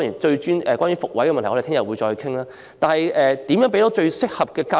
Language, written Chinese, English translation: Cantonese, 怎樣向學生提供最適合的教育？, How can we provide the most suitable education to students?